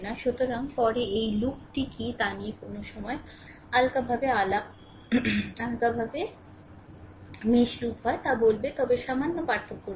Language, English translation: Bengali, So, later I will tell you the what is the loop sometime loosely we talk mesh are loop, but slight difference is there right